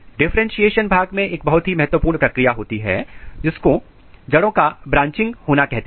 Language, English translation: Hindi, In differentiation zone one of the very important process occurs, which is called root branching